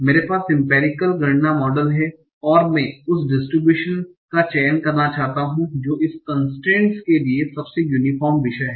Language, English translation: Hindi, So I have the empirical count, model count, and I want to select the distribution that is most uniform subject to this constraint